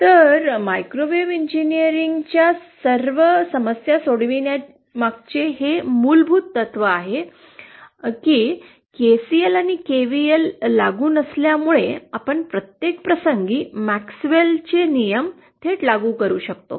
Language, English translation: Marathi, So the solutions of the MaxwellÕs lawsÉ So this is the fundamental principle behind solving all microwave engineering problems that since KCL and KVL are not applicable, we can directly apply MaxwellÕs laws to every instance